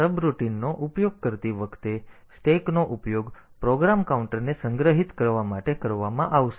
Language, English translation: Gujarati, So, when using subroutines, the stack will be used to store the program counter